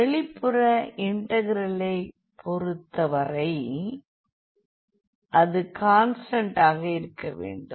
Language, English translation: Tamil, So, for the outer integral now the limits must be constant